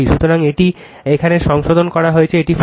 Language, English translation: Bengali, So, it is corrected here it is 40 right